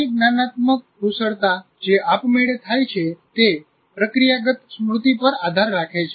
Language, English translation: Gujarati, Like many cognitive skills that are performed automatically rely on procedural memory